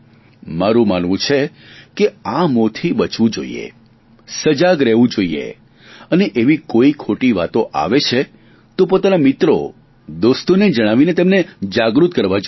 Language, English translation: Gujarati, I believe that we must be aware against such lure, must remain cautious and if such false communications come to our notice, then we must share them with our friends and make them aware also